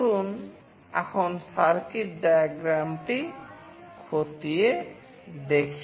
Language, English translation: Bengali, Let us now look into the circuit diagram